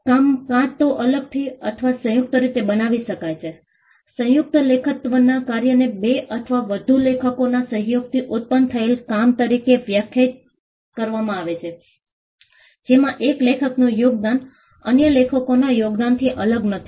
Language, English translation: Gujarati, Works can be either created separately or jointly, a work of joint authorship is defined as a work produced by the collaboration of two or more authors, in which the contribution of one author is not distinct from the contribution of other authors